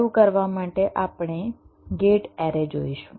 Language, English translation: Gujarati, to start be, we shall be looking at gate arrays